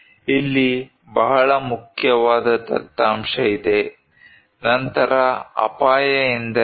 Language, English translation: Kannada, Here is a very important data, then what is risk